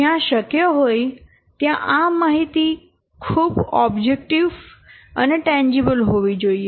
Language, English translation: Gujarati, So, wherever possible, this information should be very much objective and tangible